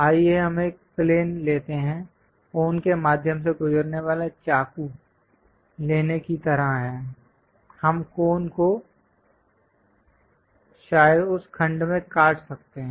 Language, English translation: Hindi, Let us take a plane, is more like taking a knife passing through cone; we can cut the cone perhaps at that section